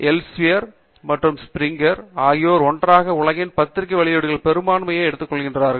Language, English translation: Tamil, Elsevier and Springer together they take up majority of the journal publications in the world